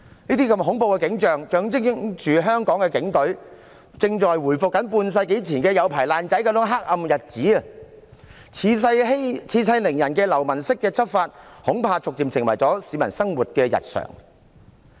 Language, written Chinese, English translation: Cantonese, 這些恐怖的景象象徵香港警隊正在回復半世紀前那種"有牌爛仔"的黑暗日子，恃勢凌人的流氓式執法，恐怕逐漸成為市民生活日常遇到的事。, Why should the whole Government go down with the Police and burn together? . These terrible scenes symbolize the return of the Hong Kong Police to those dark days of half a century ago when police officers were authorized gangsters . Enforcing the law in a villainous way by bullying people with power I am afraid will gradually become common in peoples everyday life